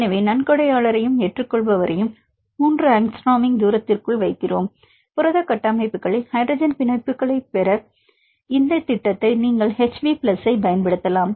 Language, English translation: Tamil, So, we put the donor and the acceptor within the distance of 3 angstrom, you can use this program HBPLUS to get the hydrogen bonds in protein structures